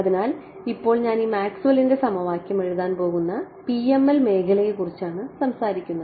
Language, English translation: Malayalam, So, now I am talking about the PML region where I am going to write this Maxwell’s equation